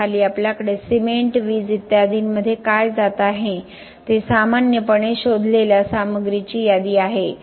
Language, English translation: Marathi, So below we have a list of normally inventoried material what is going into the cement, electricity and so on